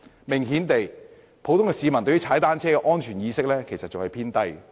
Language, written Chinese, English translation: Cantonese, 明顯地，普通市民對踏單車的安全意識仍然偏低。, Obviously the cycling safety awareness of the general public is still on the low side